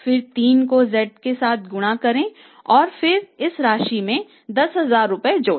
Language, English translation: Hindi, So, multiply it by 3 and then add 10,000 into this